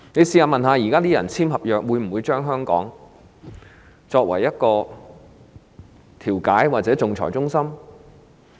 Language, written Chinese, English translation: Cantonese, 試問現在簽訂合約的人，會否將香港作為調解或仲裁中心？, Will people who have entered into contracts choose Hong Kong for mediation or arbitration?